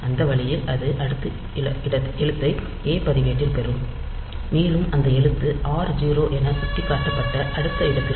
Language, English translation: Tamil, So, that way it will be getting the next character into the a register and that character will be moving to the next location pointed to be r 0